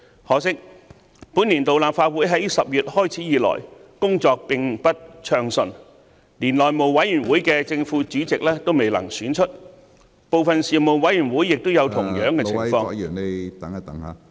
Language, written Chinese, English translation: Cantonese, 可惜，本年度立法會在10月開始以來，工作並不暢順，連內務委員會的正副主席都未能選出，部分事務委員會亦有同樣的情況......, Unfortunately since October our meetings have never been smooth in this legislative session . The House Committee and some Panels are yet to elect the Chairman and Deputy Chairman